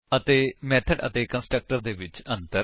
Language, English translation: Punjabi, * And Differences between method and constructor